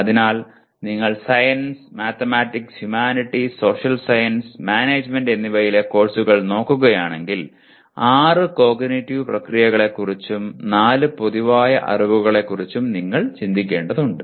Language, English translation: Malayalam, So if you are looking at courses in sciences, mathematics, humanities, social sciences and management you need to worry about six cognitive processes and four general categories of knowledge